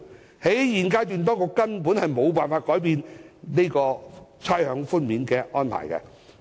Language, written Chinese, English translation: Cantonese, 當局在現階段根本無法改變差餉寬免的安排。, At this stage the Government cannot change the arrangements for rates concession